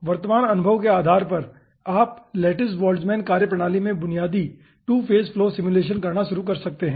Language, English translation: Hindi, based on the present experience, you can start performing basic 2 phase flow simulations in lattice boltzmann methodology